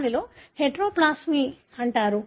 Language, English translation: Telugu, That is what is called as heteroplasmy